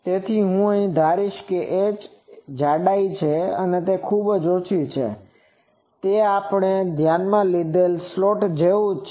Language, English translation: Gujarati, So, now I will assume that since this h which is the thickness that is very small so, it is same as our slot we consider